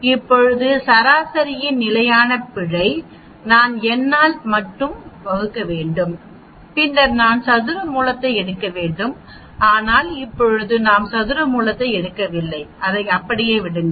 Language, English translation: Tamil, Now the standard error of the mean, I just have to divide by n and then later on I need to take square root, but right now we are not taking square root we leave it like that